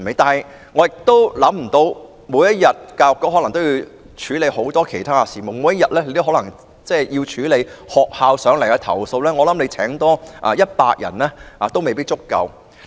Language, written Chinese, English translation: Cantonese, 但是，教育局每天要處理很多其他事務，如果還要處理來自學校的投訴，可能多聘請100人也未必能夠應付。, However if the Education Bureau which already has many other matters to deal with has to handle school complaints too it may not be able to cope even if it recruited 100 more staff members